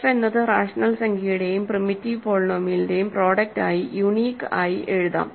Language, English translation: Malayalam, So, what we have is f can be written uniquely as a product of a rational number and a primitive polynomial